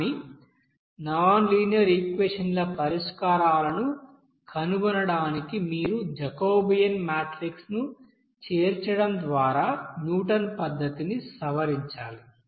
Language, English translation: Telugu, But for the set of you know nonlinear equation to find the solution here, in this case, you have to you know modify that Newton's method just by you know incorporating the that is Jacobian matrix